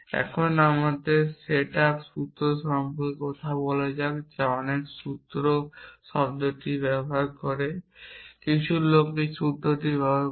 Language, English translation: Bengali, Now, let us talk about the set up formulas many people use the term formulas some people use the term formula